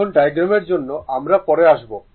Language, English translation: Bengali, Now, for the diagram we will come later